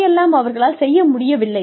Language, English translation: Tamil, What they have not been able to do